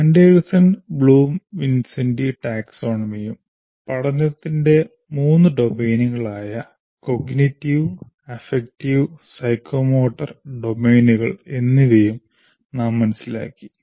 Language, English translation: Malayalam, And we also understood the Anderson Bloom, Vincenti taxonomy and the three domains of learning, namely cognitive, affective and psychomotor domains of learning